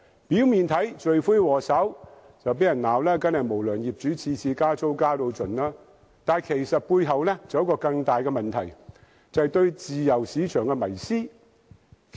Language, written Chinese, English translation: Cantonese, 表面看來，罪魁禍首當然是經常被責罵的無良業主，每次加租都要"加到盡"，但背後其實還有一個更大問題，就是對自由市場的迷思。, On the surface of it the culprit is surely the often - cursed unscrupulous landlords who would maximize rental increase upon tenancy renewal . But a bigger problem is lurking behind that is the obsession with a free market